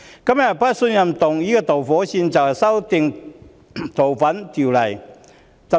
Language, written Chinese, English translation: Cantonese, 這次不信任議案的導火線是《逃犯條例》修訂。, This motion of no confidence was triggered by the amendment of FOO